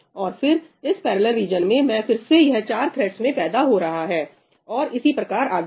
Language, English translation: Hindi, And then for this parallel region, again, it is going to spawn four threads, right, and so on